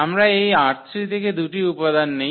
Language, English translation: Bengali, So, we take 2 elements from this R 3